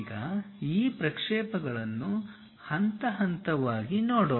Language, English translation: Kannada, Now, let us look at these projections step by step